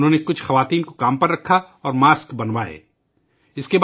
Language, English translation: Urdu, He hired some women and started getting masks made